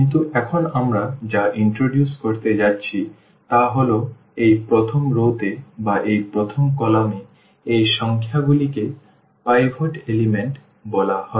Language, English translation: Bengali, But, what is now we are going to introduce this that these numbers here in this first row or in this first column this is called the pivot elements